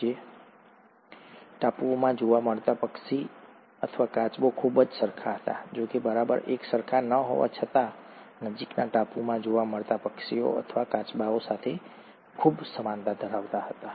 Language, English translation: Gujarati, Yet, a bird or a tortoise seen in one island was very similar, though not exactly the same, was very similar to the birds or the tortoises found in the nearest island